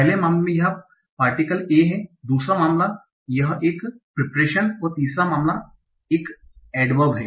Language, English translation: Hindi, In the first case it is a particle, second case is a preposition and third case it is an adverb